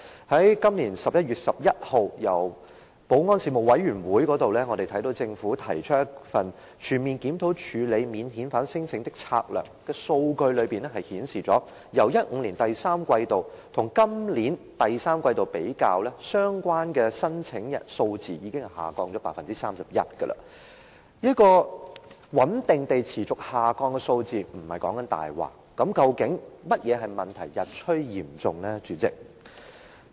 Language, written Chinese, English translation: Cantonese, 在今年11月11日，保安事務委員會提出一份"全面檢討處理免遣返聲請的策略"，當中的數據顯示，將2015年第三季度跟今年第三季度比較，相關的申請數字已經下降 31%， 這個穩定地持續下降的數字並不是謊話，那麼，主席，何謂"問題日趨嚴重"呢？, On 11 November this year there was a paper on comprehensive review of the strategy of handling non - refoulement claims from the Panel on Security . In this paper a comparison of the statistics in the third quarter of 2015 and those in the third quarter this year shows that the number of applications concerned has already dropped by 31 % . The steady decline of the figure concerned is no fabrication